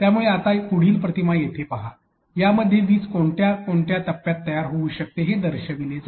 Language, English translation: Marathi, So, now look into the next image here, which shows the different stages at which lightning can be can occur